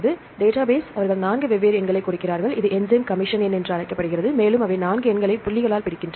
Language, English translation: Tamil, So, database they give 4 different numbers, this is called enzyme commission number and they have 4 numbers separated by dots